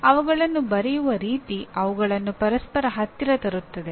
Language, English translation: Kannada, The way they are written they are brought very close to each other